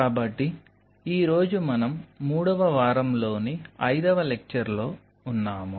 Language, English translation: Telugu, so we are in the fifth lecture